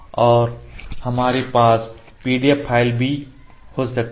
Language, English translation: Hindi, So, now I am opening the PDF file